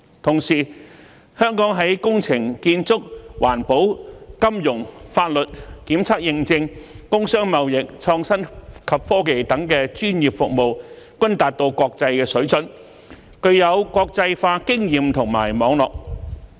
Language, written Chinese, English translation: Cantonese, 同時，香港在工程、建築、環保、金融、法律、檢測認證、工商貿易、創新及科技等專業服務均達到國際水準，具有國際化經驗及網絡。, And also our professional services such as engineering services construction environmental protection finance legal services testing and certification industry and trade innovation and technology are of international standards and have international experience and network